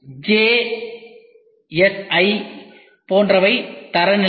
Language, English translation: Tamil, Like what we have ISI, ISO, BSI, JSI these are standards